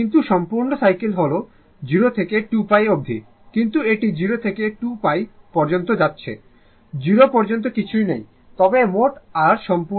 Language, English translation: Bengali, But complete cycle is 0 to 2 pi right, but it is going your up to 0 to pi after that, nothing is there till 0, but your total your complete cycle is 2 pi